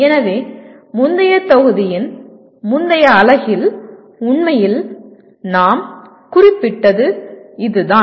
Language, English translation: Tamil, So that is what we noted in the previous module, previous unit in fact